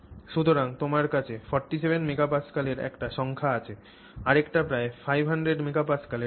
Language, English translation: Bengali, So, you have one number of 47 MPA and another value of about 500 MPA